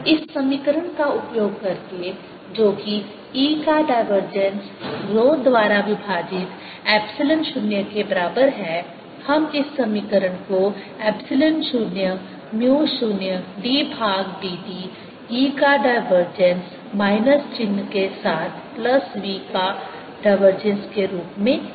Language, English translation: Hindi, by using the equation that divergence of e is equal to rho over epsilon zero, we can write this equation as epsilon zero, mu zero d by d t of divergence of e, with a minus sign plus divergence of v